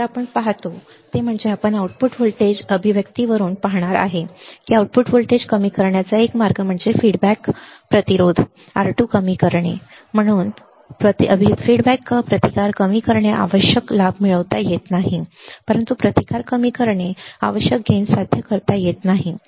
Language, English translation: Marathi, So, what we see is that we are going to see from the output voltage expression that one way to decrease output voltage is by minimizing the feedback resistance R 2, but decreasing the feedback resistance the required gain cannot be achieved, but decreasing resistance the feedback resistance the required gain cannot be achieved, right